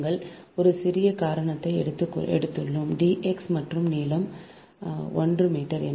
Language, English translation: Tamil, right, we have taken a small reason: d x and length is one meter